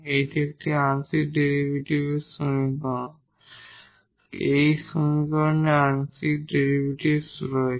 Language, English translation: Bengali, This is a partial differential equation; we have the partial derivatives in this equation